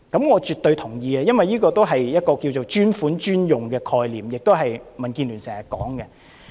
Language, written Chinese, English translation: Cantonese, 我絕對同意，因為這是"專款專用"的概念，亦是民建聯經常提及的。, I give it my complete support because it is based on the dedicated - fund - for - dedicated - use concept something DAB always mentions